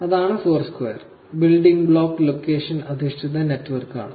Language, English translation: Malayalam, So, that is Foursquare, again, building blocks is location based networks